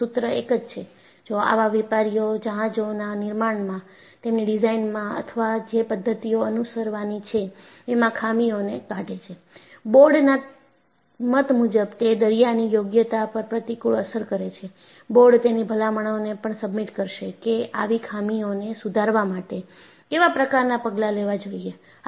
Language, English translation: Gujarati, And the dictum reads like this, ‘if the fax establish the existence of defects, in their designs of or in the methods being followed in the construction of such merchant vessels, which in the opinion of the board adversely affect the sea worthiness there off; the board will also submit its recommendations, as to the measures which should be taken to correct such defects’